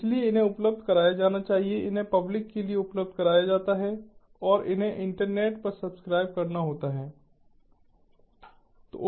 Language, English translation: Hindi, so these have to be available, made a, these are made available to the public and these have to be subscribed to over the internet